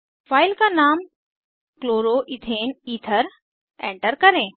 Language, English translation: Hindi, Enter the file name as Chloroethane ether